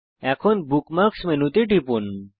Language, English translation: Bengali, Now click on the Bookmark menu